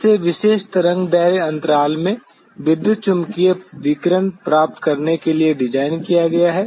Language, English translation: Hindi, That is designed to receive the electromagnetic radiation in specific wavelength intervals